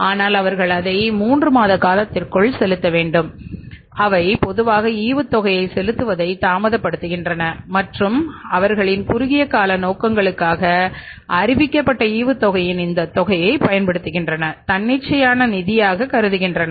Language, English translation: Tamil, So they don't, firms normally what they do, they normally delay the payment of the dividend and use this amount of the dividend declared for their short term purposes as a spontaneous finance